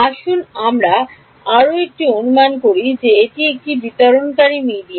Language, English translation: Bengali, Let us make one further assumption that it is a non dispersive media